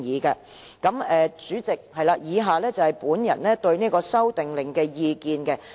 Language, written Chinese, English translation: Cantonese, 代理主席，以下是我對《修訂令》的意見。, Deputy President the following are my views on the Amendment Order